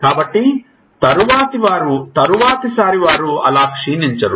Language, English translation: Telugu, So, that the next time they do not falter